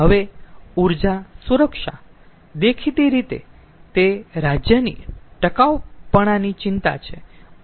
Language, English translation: Gujarati, now, energy security, that is obviously is a concern of a state